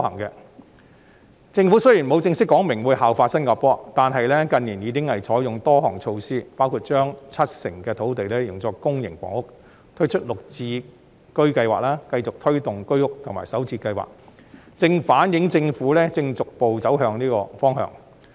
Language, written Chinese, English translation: Cantonese, 雖然政府沒有正式講明會效法新加坡，但近年來已採用多項措施，包括將七成土地用作公營房屋、推出綠表置居計劃、繼續推動居屋的興建及首置計劃等，正反映政府逐步朝這方向走。, Despite not having officially stated that the example of Singapore will be followed the Government has taken numerous measures in recent years including allocating 70 % of land for public housing introducing the Green Form Subsidised Home Ownership Scheme continuing to promote the construction of HOS flats and SH projects which precisely reflect that the Government is pursing such a direction